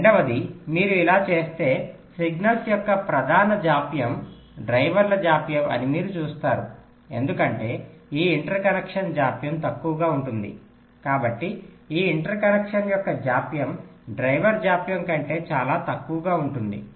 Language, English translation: Telugu, secondly, if you do this, you see, the main delay of the signals will be delay of the drivers, because maybe this inter connection delay will be shorter